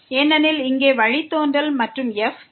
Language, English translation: Tamil, We are taking the derivative with respect to y